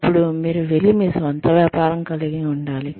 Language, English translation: Telugu, Then, maybe, you should go and own a business